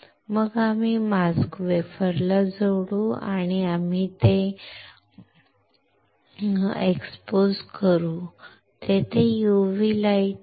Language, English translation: Marathi, Then we will attach the mask to the wafer, and we will expose it there is a UV light